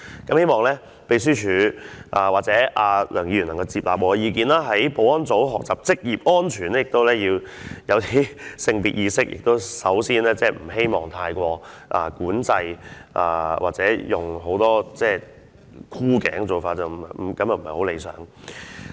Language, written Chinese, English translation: Cantonese, 我希望秘書處和梁議員能夠接納我的意見，保安人員學習職業安全也要有性別意識，不應該作出太多管制或採取太多箍頸的做法，這些都是不理想的。, I hope that the Secretariat and Mr LEUNG can accept my opinions . The security staff also need to have gender awareness when learning occupational safety . They should not exert too much control or make too many neck grabbing moves as all these are undesirable